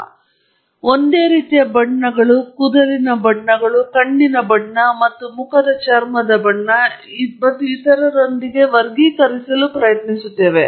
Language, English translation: Kannada, We try to classify people with similar colors, hair colors, similar eye color, and facial skin color and so on